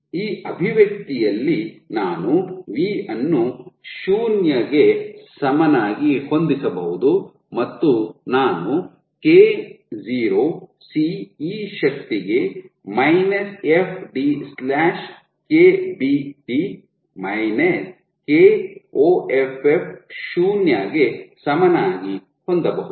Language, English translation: Kannada, So, I can set v equal to 0 in this expression and I can have k0 [C] e to the power fd / KBT Koff equal to 0